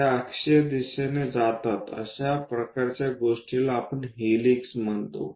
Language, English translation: Marathi, They move in that axial direction—such kind of things what we call helix